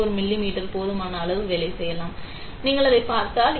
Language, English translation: Tamil, 4 mm which is good enough; if you look at it